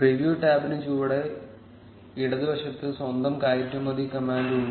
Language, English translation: Malayalam, The preview tab has it's own export command at the bottom left